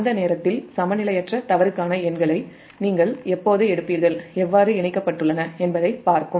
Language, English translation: Tamil, when you will take the numericals for unbalanced fault, at that time will see how things are connected